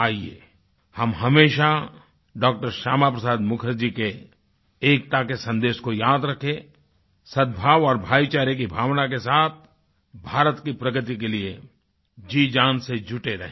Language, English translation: Hindi, Shyama Prasad Mukherjee's message of unity imbued with the spirit of goodwill and brotherhood and remain proactive with all our might for the progress of India